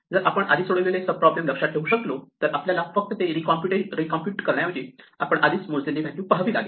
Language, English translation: Marathi, This is easy to do, if we could only remember the sub problems that we have solved before, then all we have to do is look up the value we already computed rather than recompute it